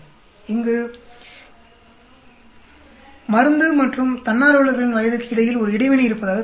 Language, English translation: Tamil, There appears to be an interaction between the drug and the age of the volunteers